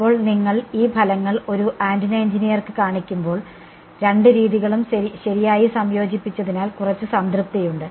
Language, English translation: Malayalam, Now, when you show these results to an antenna engineer, there is some satisfaction because both methods have converged right